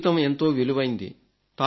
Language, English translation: Telugu, Life is very precious